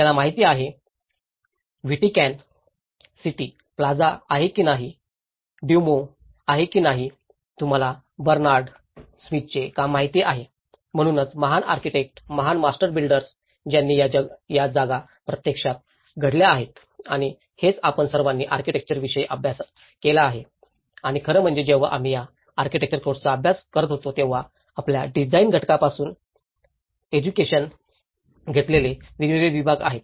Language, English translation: Marathi, You know, whether it is a Vatican city plaza, whether it is Duomo, you know the Bernard smith work; so the great architects, the great master builders who have actually made these spaces to happen and that is what we all studied about architecture and in fact, when we were studying these architectural courses, there are different segments of the training starting from your design component and as well as the construction component, the structural component, the service component and the historical component